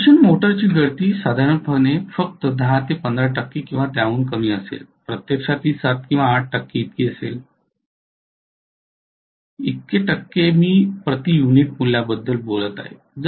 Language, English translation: Marathi, The leakage of an induction motor normally will be only 10 to 15 percent or even less in fact it will be 7 to 8 percent very often, percent I am talking about per unit values